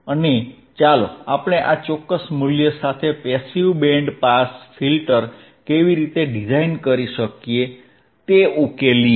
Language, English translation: Gujarati, And let us solve how we can design and a passive band pass filter with this particular value